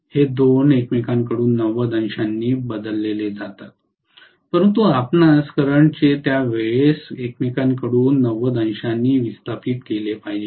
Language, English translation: Marathi, These 2 are shifted from each other by 90 degrees, but we should also have the currents time displace from each other by 90 degrees